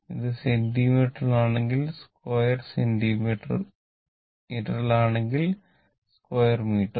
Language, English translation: Malayalam, If it is in centimeter, centimeter square; if it is in meter, you put in meter square, right